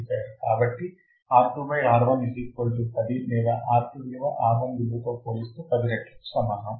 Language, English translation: Telugu, So, R2 by R 1 equals to 10 or R2 would be equal to 10 times R1 right